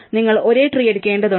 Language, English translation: Malayalam, You have to pick up same tree